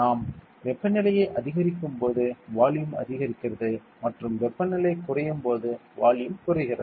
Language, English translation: Tamil, Then when we increase the temperature volume will also increase when we decrease the temperature volume will decrease